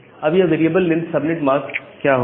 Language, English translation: Hindi, What is this variable length subnetting